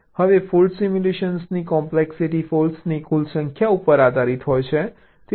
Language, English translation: Gujarati, now the complexity if fault simulation depends on the total number of faults